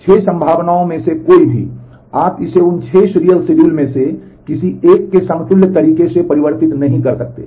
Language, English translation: Hindi, Any of the 6 possibilities, you cannot convert this in a conflict equivalent manner to any of those 6 serial schedules